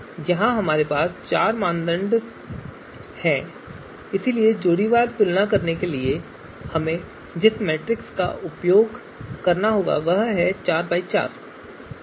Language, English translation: Hindi, So here we have four here we have four you know criteria so the matrix that we are going to require for pairwise comparison is four by four